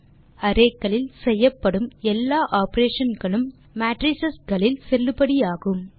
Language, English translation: Tamil, Thus all the operations on arrays are valid on matrices only